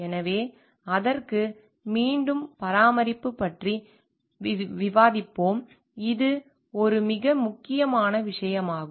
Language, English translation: Tamil, So, again for that, we discussed about the maintenance again comes to be a very important thing